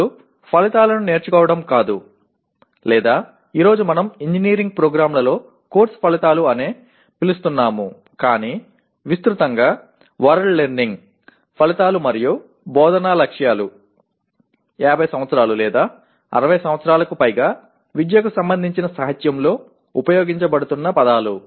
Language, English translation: Telugu, Now learning outcomes is not or what we call today we are calling it course outcomes at engineering programs but broadly the word learning outcomes and instructional objectives are the words that are being that have been used in the literature related to education for more than 50 years or 60 years